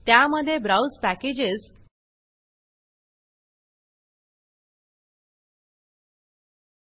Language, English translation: Marathi, In that, browse packages